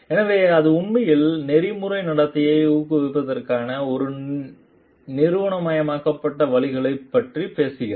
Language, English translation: Tamil, And so it talks of really an institutionalized ways for promoting ethical conduct